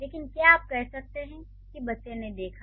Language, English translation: Hindi, But can you say child saw